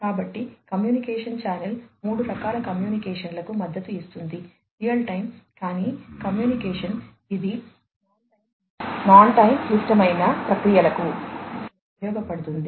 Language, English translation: Telugu, So, the communication channel supports three types of communication, non real time communication, which is used for non time critical processes